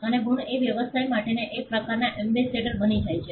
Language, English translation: Gujarati, And the marks become some kind of an ambassador for a business